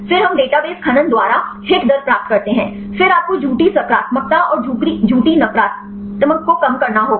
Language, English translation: Hindi, Then we get the hit rate by database mining; then you have to reduced false positives and false negatives